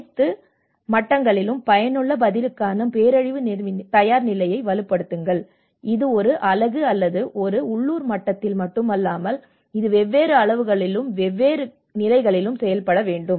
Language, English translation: Tamil, Strengthen the disaster preparedness for effective response at all levels you know that is not only at one unit or one local level, but it has to work out a different scales, different levels